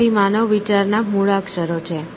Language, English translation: Gujarati, So, the alphabet of human thought